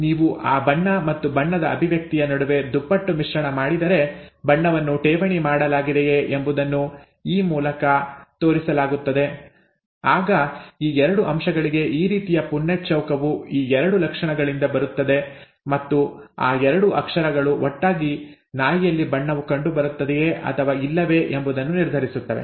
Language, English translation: Kannada, If you do a dihybrid between colour and expression of that colour, okay, whether the whether the colour is deposited as shown by this E, then this kind of a Punnett square results from these 2 characters for these 2 aspects, or these 2 characters and both those characters together determine whether the colour is seen ultimately in the dog or not